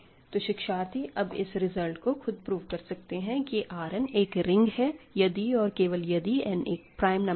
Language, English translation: Hindi, So now, I am asking you to prove the general statement R n is a ring if and only if n is a prime number